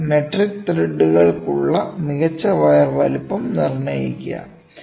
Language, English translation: Malayalam, Determine the size of the best wire for metric threads